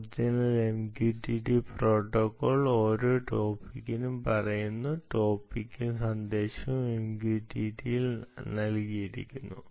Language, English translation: Malayalam, original mqtt protocol says for every topic, topic plus message is given